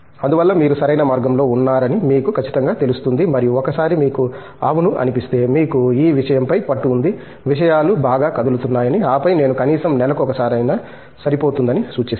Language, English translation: Telugu, So that, you are sure that you are on the right track and once you feel yes, you got a hold on the thing, that things are moving well and then possibly you know I would suggest at least once in a month